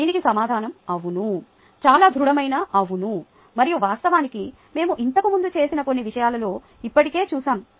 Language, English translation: Telugu, ok, the answer is yes, a very emphatic yes, and in fact we have already done that in some of the earlier things that we have done